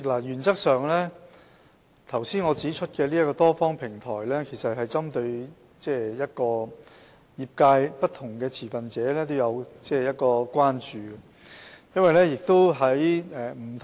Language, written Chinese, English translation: Cantonese, 主席，我剛才指出的多方平台，原則上是針對業界不同持份者的關注。, President the multi - party platform I mentioned just now is as a matter of principle formed to address the concerns of different stakeholders in the industry